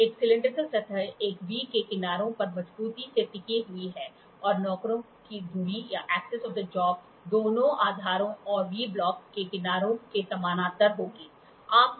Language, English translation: Hindi, A cylindrical surface rests firmly on the sides of a V and the axis of the job will be will be parallel to both the base and to the sides of the V block